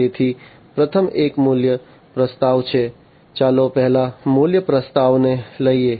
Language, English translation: Gujarati, So, the first one is the value proposition, let us take up the value proposition first